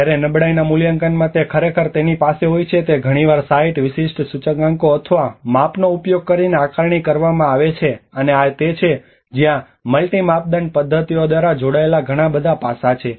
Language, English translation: Gujarati, Whereas in the vulnerability assessment it actually has to it is often assessed using the site specific indicators or measurements, and this is where the multiple aspects which has to be combined by multi criteria methods